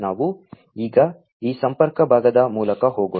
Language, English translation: Kannada, So, let us go through this connectivity part now